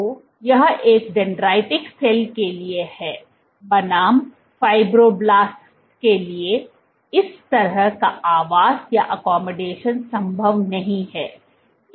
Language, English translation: Hindi, So, this is for a dendritic cell versus for a fibroblast this kind of accommodation is not possible